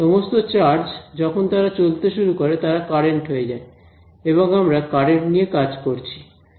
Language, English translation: Bengali, All of those charges once they start moving they become currents and we already dealing with currents